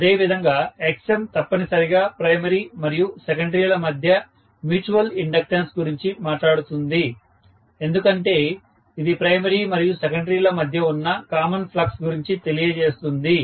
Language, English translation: Telugu, Similarly if I look at Xm, Xm is also essentially talking about what is the mutual inductance between the primary and secondary in one sense, because that is the one which is talking about the common flux that is existing between primary and secondary